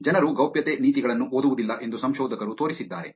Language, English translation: Kannada, Researchers have shown that people do not read privacy policies